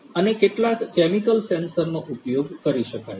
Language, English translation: Gujarati, And some chemical sensors could be used